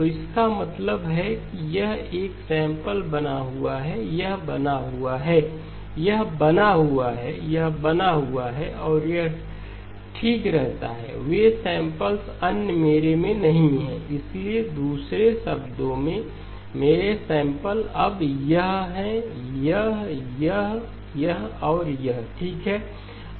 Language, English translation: Hindi, So that means this sample remains, this remains, this remains, this remains and this remains okay, those samples, the others are not there in my, so in other words my samples now are this, this, this, this and this okay